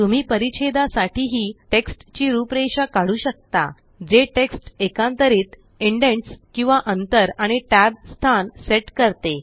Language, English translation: Marathi, You can also format text for Paragraph, that is align text, set indents or spacing and set tab positions